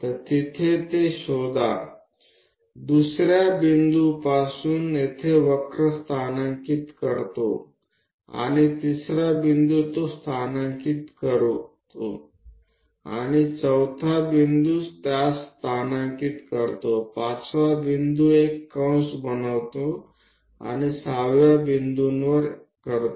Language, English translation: Marathi, So, one locate it there, from 2nd point locate a curve here and 3rd point locate it and 4th point locate it, 5th point make an arc, now 6th one this